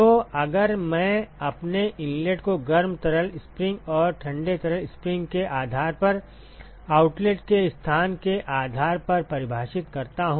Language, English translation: Hindi, So, if I define my inlet based on the hot fluid spring and the location of outlet based on the cold fluid spring